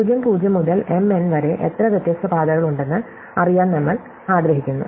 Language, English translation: Malayalam, We want to know how many such different paths are there from (0, 0) to (m, n)